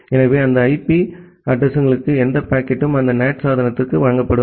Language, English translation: Tamil, So, any packet to those IP addresses will be delivered to that NAT device